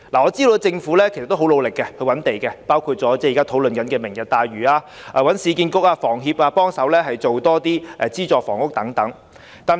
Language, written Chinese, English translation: Cantonese, 我知道政府也很積極覓地建屋，包括提出現時討論中的"明日大嶼"計劃，又請市區重建局和香港房屋協會協力推出資助房屋等。, I know the Government is proactively looking for sites to build houses including its proposal of the Lantau Tomorrow plan which is currently under discussion and inviting the Urban Renewal Authority URA and the Hong Kong Housing Society HKHS to make joint efforts in launching subsidized housing